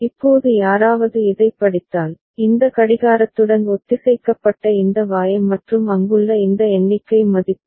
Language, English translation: Tamil, Now if somebody read this one this Y synchronised with this clock and this count value that is there